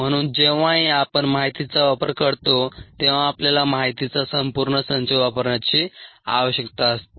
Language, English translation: Marathi, therefore, whenever we deal with data, we need to use a entire set of data